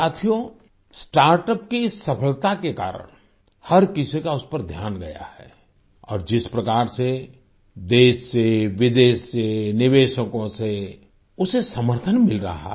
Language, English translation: Hindi, Friends, due to the success of StartUps, everyone has noticed them and the way they are getting support from investors from all over the country and abroad